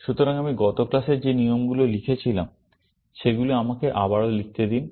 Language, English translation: Bengali, So, let me also rewrite the rules that I wrote in the last class